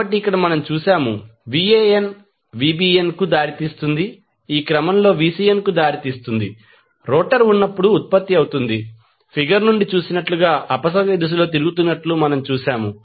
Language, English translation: Telugu, So, here we have seen that Van leads Vbn and Vbn leads Vcn in this sequence is produced when rotor we have just seen that it is rotating in the counterclockwise as we have seen from the figure